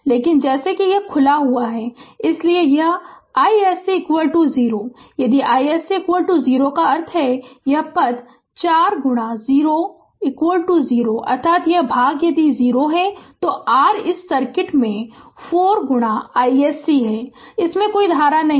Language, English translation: Hindi, But as it is open, so this I SC is equal to 0; if I SC is equal to 0 that means, this term also 4 into 0 is equal to 0 right that means this part is ah if it is 0 then ah your this circuit there is no current 4 into I SC this current source